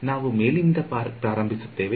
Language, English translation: Kannada, So, we will start from the top